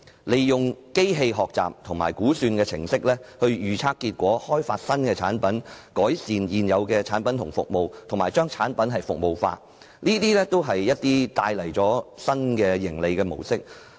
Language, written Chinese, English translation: Cantonese, 利用機器學習和估算程式預測結果、開發新產品、改善現有產品和服務，以及把產品服務化，均可帶來新的盈利模式。, Using machine learning and estimating programmes to predict results developing new products improving existing products and services and producing service - oriented products will be new ways to make profits